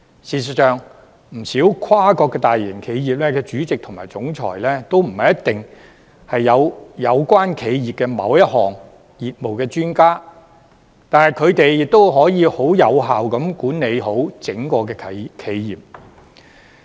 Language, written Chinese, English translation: Cantonese, 事實上，不少跨國大型企業的主席及總裁，都不一定是有關企業某一項業務的專家，但他們亦可以有效地管理好整個企業。, As a matter of fact the chairmen and chief executive officers of many large multinational enterprises are able to effectively manage the entire corporation even though they may not be the experts of a certain business of the corporations concerned